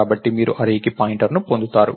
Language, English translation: Telugu, So, you get a pointer to an array